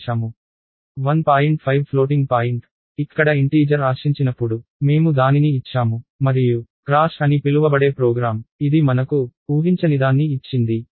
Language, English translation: Telugu, 5 is a floating point, I gave it when an integer was expected and the program so, called crashed, it gave me something which is unexpected